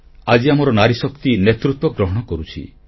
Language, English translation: Odia, Today our Nari Shakti is assuming leadership roles